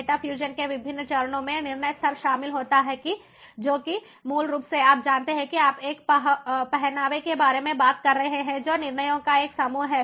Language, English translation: Hindi, the different stages of data fusion include decision level, which is basically an ah, you know talking about an ensemble, coming up with an ensemble of decisions